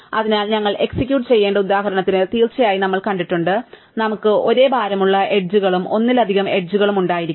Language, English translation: Malayalam, So, of course we have seen in the example that we executed, we could have edges, multiple edges with the same weight